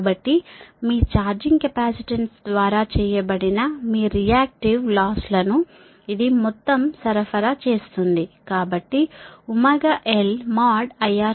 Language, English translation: Telugu, so thats why this total your reactive losses supplied by the, your charging capacitance